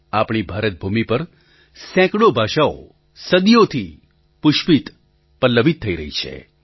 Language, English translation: Gujarati, Hundreds of languages have blossomed and flourished in our country for centuries